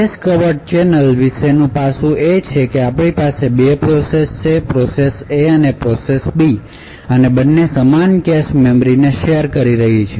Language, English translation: Gujarati, So, the aspect about cache covert channels is that we have 2 processes; process A and process B and both are sharing the same cache memory